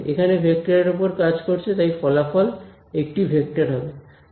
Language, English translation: Bengali, It is a complex vector; so this is complex